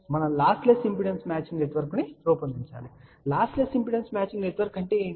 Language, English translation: Telugu, We would like to design a lossless impedance matching network and what are the lossless impedance matching networks